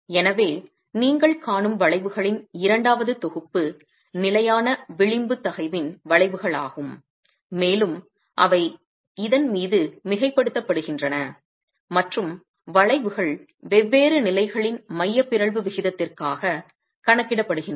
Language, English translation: Tamil, So the second set of curves that you see are curves of constant edge stress, and they are superposed on this, and the curves are calculated for different levels of eccentricity ratio